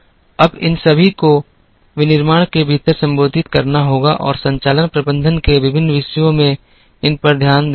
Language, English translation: Hindi, Now, all these will have to be addressed within the manufacturing and various topics in operations management addresses these